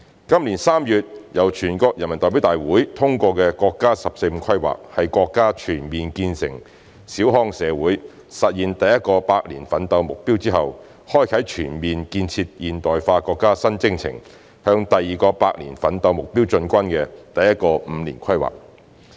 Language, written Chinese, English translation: Cantonese, 今年3月由全國人民代表大會通過的國家"十四五"規劃，是國家全面建成小康社會、實現第一個百年奮鬥目標之後，開啟全面建設現代化國家新征程、向第二個百年奮鬥目標進軍的第一個五年規劃。, After our country has realized its first centenary goal by building a moderately prosperous society in all respects the National 14th Five - Year Plan approved by the National Peoples Congress in March this year is the first five - year plan for the country to press ahead with its second centenary goal and embark on its new journey to build a modernized country in an all - round way